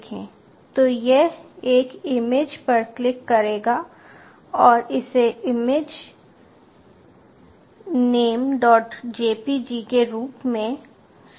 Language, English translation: Hindi, so this will click an image and store it as that image name dot jpg